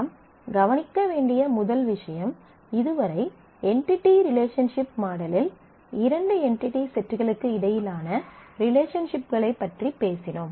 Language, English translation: Tamil, The first that we note is so, far in the entity relationship model we have talked about relationships between two entity sets